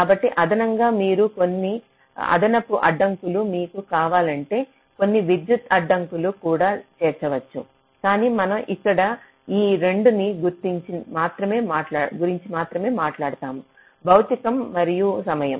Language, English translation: Telugu, so in addition, you can also incorporate some additional constraints, some electrical constraints if you want, but we only talk about these two here: physical and timing